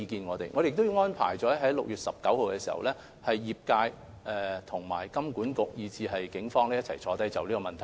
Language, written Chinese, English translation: Cantonese, 我們將會在6月19日與業界、金管局及警方一起商議這問題。, We will also discuss this issue with the industry HKMA and the Police on 19 June